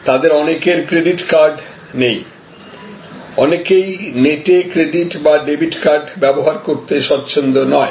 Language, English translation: Bengali, Because, either they did not have credit cards or they were not very comfortable to use credit cards, debit cards on the net